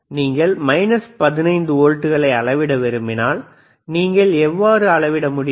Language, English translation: Tamil, If you want to measure minus 15 volts, how you can measure this is plus 15 volts